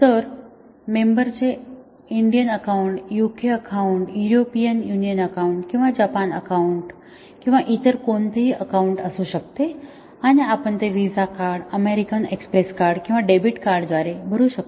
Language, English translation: Marathi, So, the member might have an Indian Account, UK Account, European Union Account or Japanese Account or any other account and we might pay it through a VISA Card, American Express Card or a Debit Card